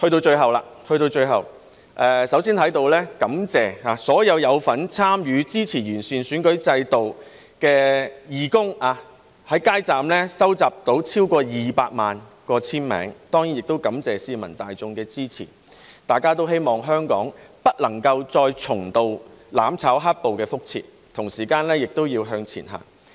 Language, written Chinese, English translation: Cantonese, 最後，首先在此感謝所有有份參與支持完善選舉制度的義工，在街站收集了超過200萬個簽名，當然亦感謝市民大眾的支持，大家也希望香港不會再重蹈"攬炒"和"黑暴"的覆轍，同時也要向前行。, Over 2 million signatures have been collected from the street counters and I certainly wish to thank the public for their support . We all hope that Hong Kong will not experience mutual destruction and black - clad violence again . Meanwhile it has got to move forward